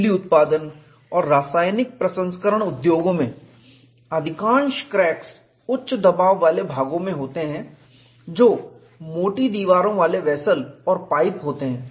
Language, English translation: Hindi, In power generating and chemical processing industries most cracks occur in high pressure parts which are thick wall vessels and pipes